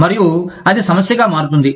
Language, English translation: Telugu, And, that can become a problem